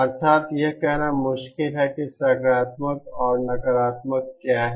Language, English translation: Hindi, That is, it is difficult to say which is the positive and negative